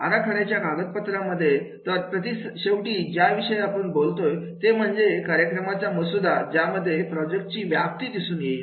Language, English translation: Marathi, In design documents, so finally what we talk about that is a template will be having the scope of the project